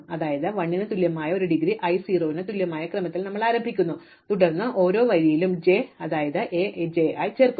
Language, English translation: Malayalam, So, we start by setting indegree equal to 1, indegree i equal to 0 and then for every row j we add A j i